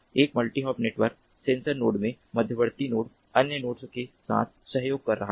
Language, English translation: Hindi, in a multi hop network, sensor node, the intermediate node is cooperating with other nodes